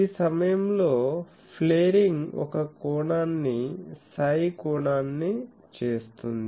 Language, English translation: Telugu, So, in this point the flaring is making an angle psi the flare angle